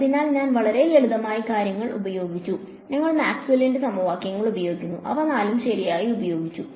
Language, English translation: Malayalam, So, we used very simple things, we use Maxwell’s equations and all four of them were used right